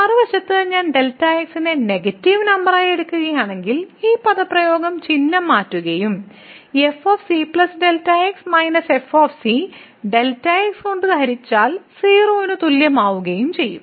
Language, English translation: Malayalam, On the other hand if I take as a negative number then this expression will change the sign and this divided by will become greater than equal to 0